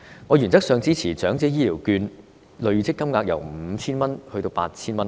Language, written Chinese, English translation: Cantonese, 我原則上支持長者醫療券累積金額由 5,000 元增至 8,000 元。, In principle I support that the accumulative limit of elderly health care vouchers should be raised from 5,000 to 8,000